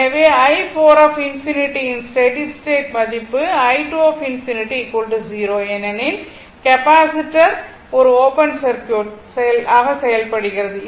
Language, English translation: Tamil, So, i 4 infinity the steady state value is equal to i 2 infinity is equal to 0 because capacitor act as an open circuit